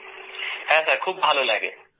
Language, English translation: Bengali, Yes, it feels good